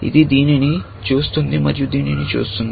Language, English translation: Telugu, It looks at this, and looks at this